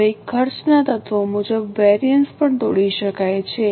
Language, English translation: Gujarati, Now the variances can also be broken as per elements of cost